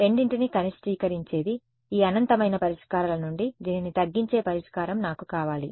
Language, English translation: Telugu, One which minimizes both of them, out of this infinity of solutions I want that solution which minimizes this